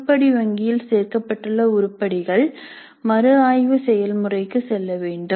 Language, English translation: Tamil, So items included in an item bank need to go through a review process